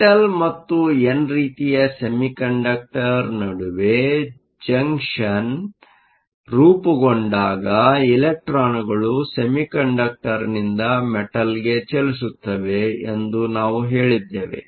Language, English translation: Kannada, We said that when the junction forms between the metal and n type semiconductor, electrons move from the semiconductor to the metal